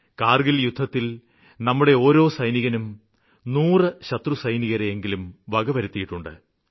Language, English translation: Malayalam, During the Kargil war, each one of our soldier proved mightier than hundreds of soldiers of our enemies